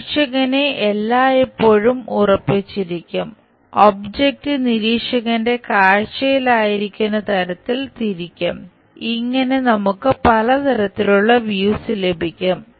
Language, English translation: Malayalam, Observer is always be fixed, object will be rotated in such a way that it will be in the view of the observer and whatever the view we get, that we call this natural method